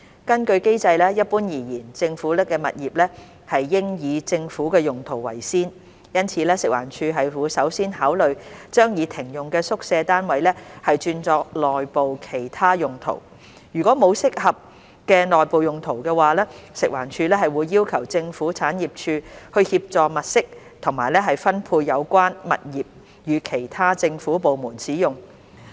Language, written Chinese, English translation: Cantonese, 根據機制，一般而言，政府物業應以政府用途為先，因此食環署會首先考慮將已停用的宿舍單位轉作內部其他用途。如果沒有合適的內部用途，食環署會要求政府產業署協助物色及分配有關物業予其他政府部門使用。, According to the mechanism generally speaking government properties should primarily be for government uses . Therefore FEHD will first consider redeploying disused quarters units for other internal uses and if no suitable internal uses have been identified assistance will be sought from the Government Property Agency GPA to identify and allocate the properties for use by other government departments